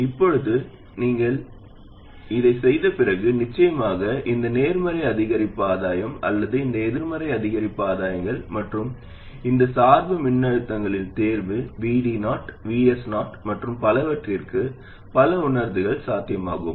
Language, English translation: Tamil, Now, after you do this, there are of course many realizations possible for this positive incremental gain or these negative incremental gains and choice of these bias voltages, VD0, VS, 0 and so on